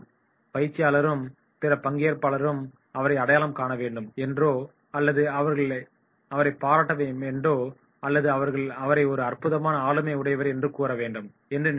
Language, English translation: Tamil, They want that the trainer and other participant should recognise him and they should appreciate him and they say “he is a wonderful personality”